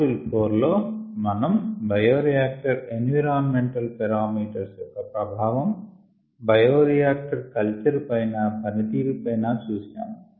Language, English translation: Telugu, in module four we looked at the effect of certain bioreactor environment parameters, ah on ah, the bioreactor cultures, and there by bioreactor performance